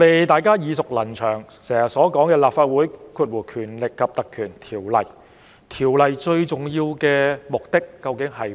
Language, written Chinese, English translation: Cantonese, 大家耳熟能詳的是《立法會條例》，《條例》最重要的目的是甚麼？, We are all very familiar with the Legislative Council Ordinance . What is the most important purpose of the Ordinance?